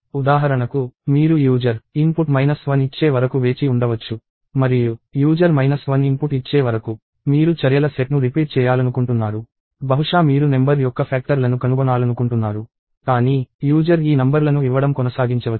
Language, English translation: Telugu, So, for example, you may wait till the user inputs minus 1 and you want to do a repeated set of actions till the user inputs minus 1; maybe you want to find the factors of a number; but, the user could keep on giving these numbers